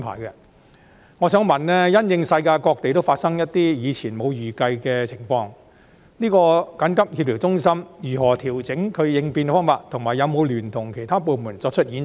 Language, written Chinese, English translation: Cantonese, 因應世界各地均有發生一些以前沒有預計的情況，我想問調協中心如何調整應變方法，以及有否聯同其他部門進行演習？, In response to unforeseen situations that happened in various parts of the world I would like to ask how the coordination centre adjusts its contingency plans and whether it has conducted drills in collaboration with other departments?